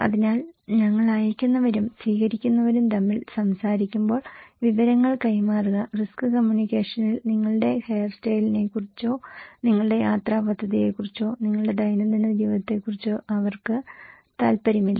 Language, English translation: Malayalam, So, exchange of information when we are talking between senders and receivers, no in risk communications they are not interested about your hairstyle, about your travel plan or about your day to day life